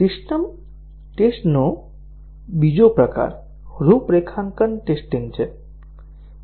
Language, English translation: Gujarati, Another type of system test is the configuration testing